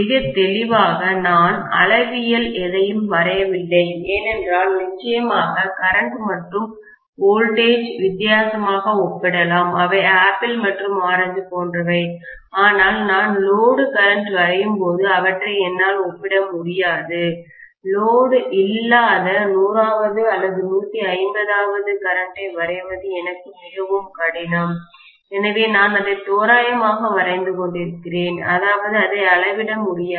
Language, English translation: Tamil, Very clearly I am not drawing anything to scale, because of course our currents and voltages can be compared in different, they are like apples and oranges, I cannot compare them but when I draw the load current, it is very difficult for me to draw the no load current as 100th or 150th, but so I am just drawing it approximately, that is it, not to scale